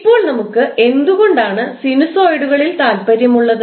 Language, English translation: Malayalam, Now, why we are interested in sinusoids